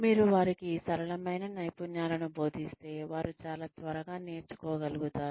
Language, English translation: Telugu, You teach them simpler skills, that they are able to master, very, very, quickly